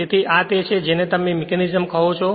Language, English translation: Gujarati, So, this is actually what you call this mechanism